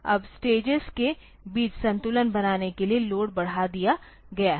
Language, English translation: Hindi, Now the load has been increased to make the balancing between the stages